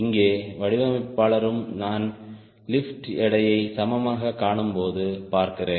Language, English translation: Tamil, here also the designer, when i see lift is equal to weight